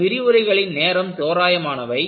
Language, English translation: Tamil, And, for these lectures hours are approximate